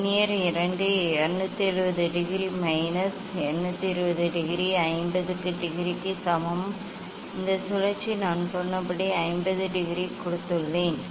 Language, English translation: Tamil, Vernier 2 270 degree minus 220 degree equal to 50 degree this rotation I have given 50 degree as I just told